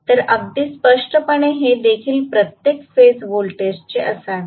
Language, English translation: Marathi, So, first of all I have to get the phase voltage